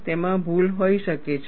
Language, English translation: Gujarati, There could be errors in that